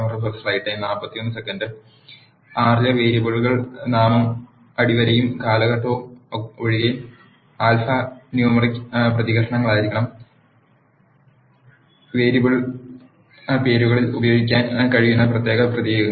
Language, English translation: Malayalam, The variable name in R has to be alphanumeric characters with an exception of underscore and period, the special characters which can be used in the variable names